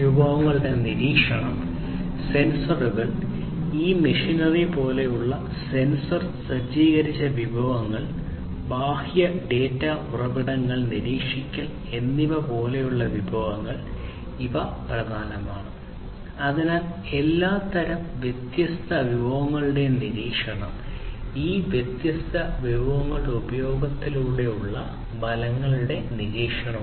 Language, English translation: Malayalam, Monitoring the resources; resources such as sensors, sensor equipped resources such as this machinery and monitoring the external data sources, these are important; so monitoring of all kinds of different resources and also the monitoring of the effects through the use of these different resources